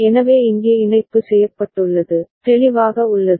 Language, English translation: Tamil, So that is the way the connection has been made here, clear